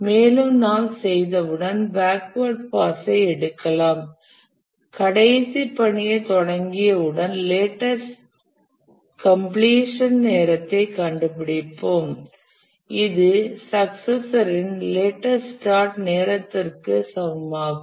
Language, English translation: Tamil, And once having done that, we'll take the backward pass, start with the last task, and we'll compute the latest completion time which should be equal to the latest start time of its successor